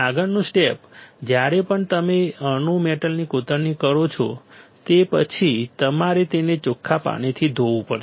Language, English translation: Gujarati, Next step is of course, whenever you do the atom metal etching, after that you have to rinse it